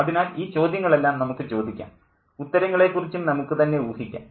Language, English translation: Malayalam, So all these questions can be asked and um we can speculate about the answers too